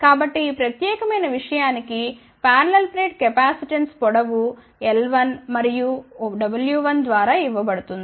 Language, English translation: Telugu, So, the parallel plate capacitance for this particular thing will be given by length l 1 and if you said w 1, ok